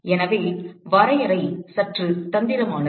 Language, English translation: Tamil, So, the definition is a bit tricky